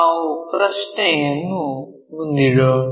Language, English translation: Kannada, Let us pose the question